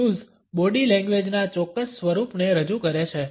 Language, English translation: Gujarati, Tattoos represent a specific form of body language